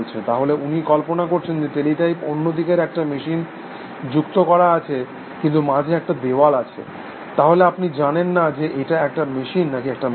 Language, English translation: Bengali, So, he imagines that teletype, connected to a machine on the other side, but there is a wall in between, so you do not know whether it is a machine or whether it is a human being essentially